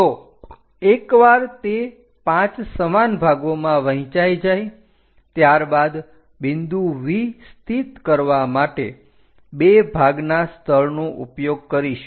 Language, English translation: Gujarati, So, once it is divided into 5 equal parts, two parts location we are going to locate V point